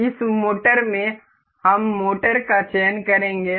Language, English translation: Hindi, In this motor, we will select we will select motor